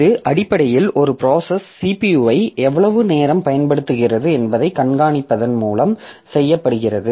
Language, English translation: Tamil, So, that is basically done by monitoring the how much time the CPU is being used by the process